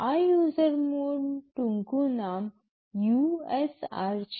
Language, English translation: Gujarati, This user mode acronym is usr